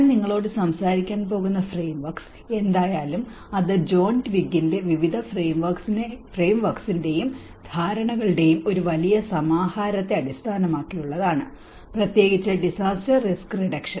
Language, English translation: Malayalam, And whatever the frameworks which I am going to talk to you about, it is based on a huge compilation of various frameworks and understandings by John Twigg, especially on the disaster risk reduction